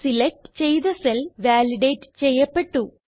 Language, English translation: Malayalam, The selected cells are validated